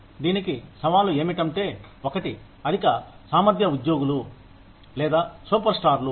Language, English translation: Telugu, The challenges to this are, one is the, over performing employees or superstars